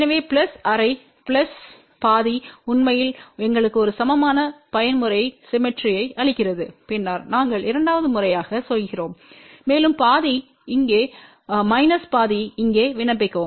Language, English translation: Tamil, So, plus half plus half actually gives us a even mode symmetry , then we do the second time plus half apply here minus half apply here